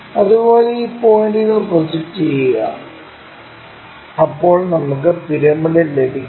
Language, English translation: Malayalam, Similarly, project these points, then we will have the prismthe pyramid